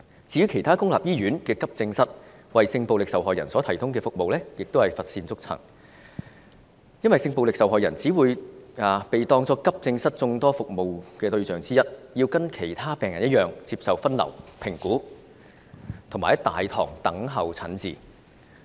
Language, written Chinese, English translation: Cantonese, 至於其他公立醫院的急症室為性暴力受害人所提供的服務亦是乏善足陳，因為性暴力受害人只會被當作急症室眾多服務對象之一，要跟其他病人一樣接受分流、評估及在大堂等候診治。, Little has been done by the Government as far as the services provided to sexual violence victims at the Accident and Emergency Department AED of other public hospitals are concerned . As a sexual violence victim will only be considered one of the service targets of AED the victim has to go through the triage and evaluation system and wait for treatment at the hospitals lobby as other patients